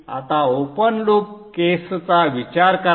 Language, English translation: Marathi, Now think of the open loop case